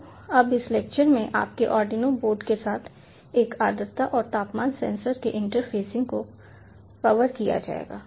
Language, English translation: Hindi, so now in this lecture will be covering ah interfacing of a humidity and temperature sensor with your arduino board